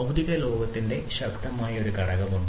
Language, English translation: Malayalam, There is a strong component of the physical world